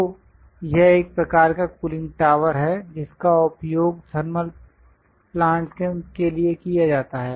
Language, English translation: Hindi, So, this is one kind of cooling tower utilized for thermal plants